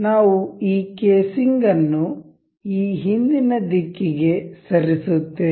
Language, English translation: Kannada, We will move this casing in this backward direction